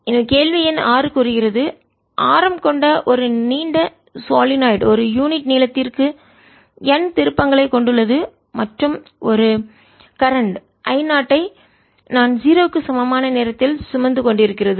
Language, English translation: Tamil, question number six states a long solenoid with radius r has n turns per unit length and is carrying a current i naught at time t equal to zero